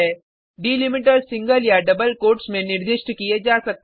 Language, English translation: Hindi, Delimiters can be specified in single or double quotes